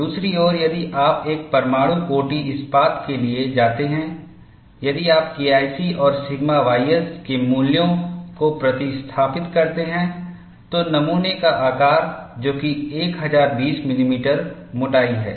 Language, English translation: Hindi, On the other hand, if you go for nuclear grade steel, if you substitute the values of K 1 C and sigma y s in that, the specimen size, that is the thickness, is 1020 millimeters